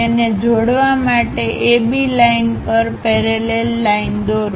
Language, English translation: Gujarati, Draw a parallel line to AB line connect it